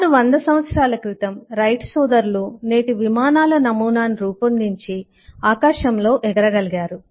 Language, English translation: Telugu, till about little over a 100 years back, the wright brothers finally made the today’s’ prototype of aero planes and they could fly again